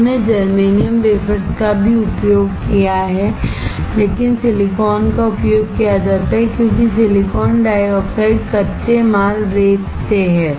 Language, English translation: Hindi, People also have used germanium wafers, but silicon is used because silicon dioxide is from the raw material sand